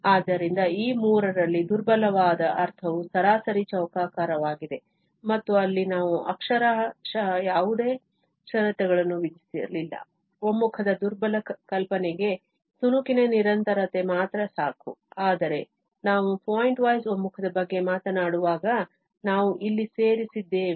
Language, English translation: Kannada, So, for the weakest among these three was the mean square sense and there we did not literally impose any condition, only that piecewise continuity is enough for that weaker notion of convergence, but when we are talking about the pointwise convergence, then we have added here the existence of one sided derivative